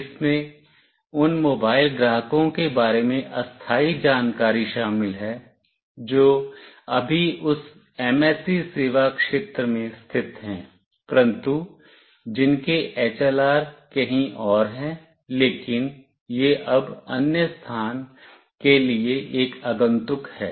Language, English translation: Hindi, It contains temporary information about the mobile subscriber that are currently located in that MSC service area, but whose HLR are elsewhere, but it is now a visitor for the other location